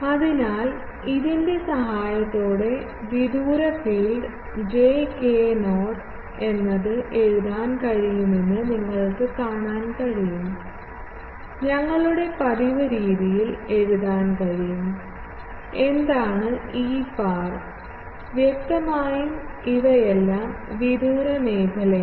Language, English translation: Malayalam, So, with the help of this you can see that the far field can be written as j k not and then we can write in our usual way, what is E theta far; obviously, these are all far field